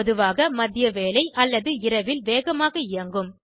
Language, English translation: Tamil, Typically mid afternoon or late night may be fast